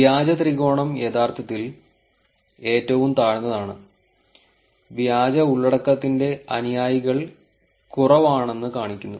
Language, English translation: Malayalam, And the green triangle is actually at the lowest showing that the followers to the fake content are the low